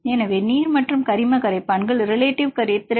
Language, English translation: Tamil, So, relative solubility of either the water plus organic solvents